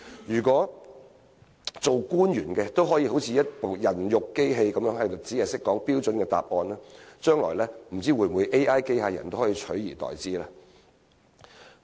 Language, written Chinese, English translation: Cantonese, 如果官員像一部"人肉錄音機"，只會給予標準答案，不知道將來會否被 AI 機械人取而代之呢？, If government officials are like a human tape recorder which will only give standard answers I wonder if they will be replaced by AI robots in the future